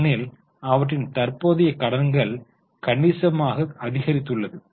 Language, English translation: Tamil, Because their current liabilities have increased substantially